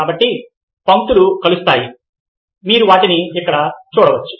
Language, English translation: Telugu, ok, so converging lines, you can see them over here